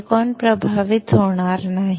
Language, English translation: Marathi, Silicon will not get affected